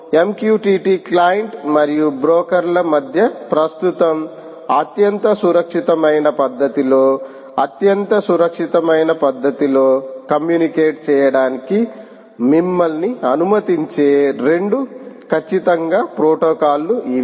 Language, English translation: Telugu, these are the two definitely protocols which will allow you to communicate between an m q t t client and the broker in the most secure manner secured manner manner currently, currently the most secure manner